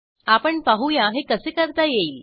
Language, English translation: Marathi, Let us see how this can be done